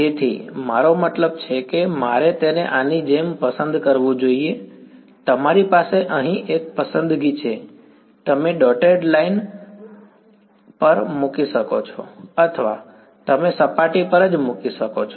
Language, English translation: Gujarati, So, I mean should I choose it like the, you have one choice over here, you can put on the dotted line or you can put on the surface itself